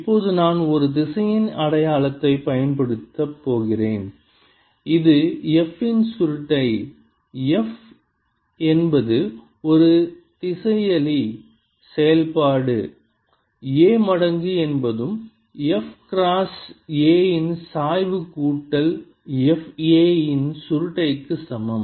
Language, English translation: Tamil, now i am going to use a vector identity which is curl of f, where f is a scalar function times a is equal to gradient of f cross a plus f